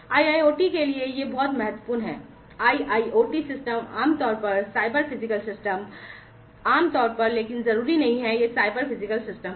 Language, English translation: Hindi, This is very important for IIoT, IIoT systems are typically, cyber physical systems, typically, but not necessarily you know these are cyber physical systems